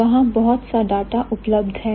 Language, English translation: Hindi, There are a lot of data given over there